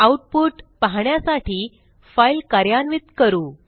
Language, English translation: Marathi, So Let us run the file to see the output